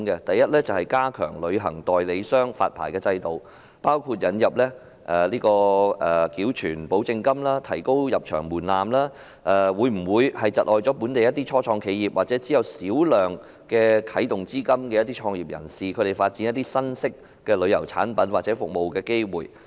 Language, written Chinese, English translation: Cantonese, 第一，加強旅行代理商的發牌制度的措施，包括引入繳存保證金和提高入場門檻，對本地初創企業或僅有少量啟動資金的創業人士而言，會否窒礙他們發展新式的旅遊產品或服務的機會。, First measures to strengthen the licensing regime for travel agents including the introduction of depositing guarantee money and the setting of a higher entry threshold to the industry . To the local start - ups or business entrepreneurs with little start - up fund will such measures undermine their opportunity of developing of new form of tourism products or services?